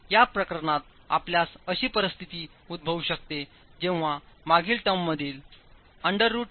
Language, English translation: Marathi, And in this case, you might have a situation where the previous term, the under root in the previous term, can become negative